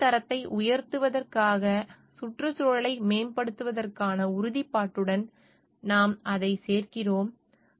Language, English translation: Tamil, Here we also add on to it to the committed to improving the environment to enhance the quality of life